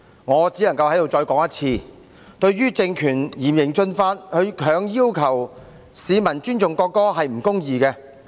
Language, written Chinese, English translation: Cantonese, 我只能夠在此重申，政權利用嚴刑峻法，強行要求市民尊重國歌是不公義的。, I can only reiterate at this juncture that it is unjust for the regime to use a draconian law to force members of the public to respect the national anthem